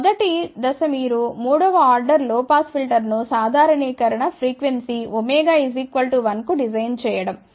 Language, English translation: Telugu, So, the first step would be that you design a third order low pass filter at normalized frequency omega equal to 1